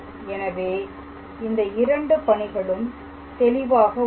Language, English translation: Tamil, So, those two steps are clear